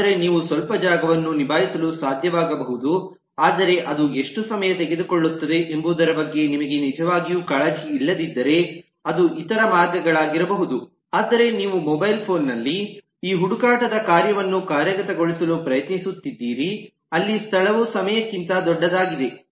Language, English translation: Kannada, but it could be other ways if you really do not care about how much time it takes, but you are trying to implement the functionality of this search on a mobile phone where space is a bigger premium than time